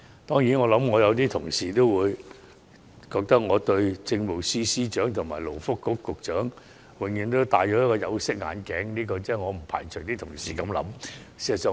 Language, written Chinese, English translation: Cantonese, 當然，有些同事會認為，我對政務司司長和勞工及福利局局長總是戴着有色眼鏡，我不排除同事有這種想法。, Admittedly some colleagues would think I am judging the Chief Secretary for Administration and Secretary for Labour and Welfare through tinted glasses and I am not dismissing the possibility of colleagues holding that view